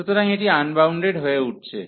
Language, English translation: Bengali, So, this is getting unbounded